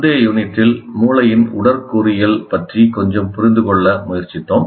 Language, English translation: Tamil, In the earlier unit, we tried to understand a little bit of the anatomy of the brain